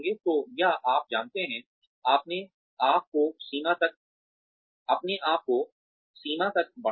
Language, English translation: Hindi, So, or you know, stretch yourself to the limit